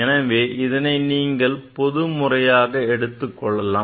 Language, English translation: Tamil, You can take this in general way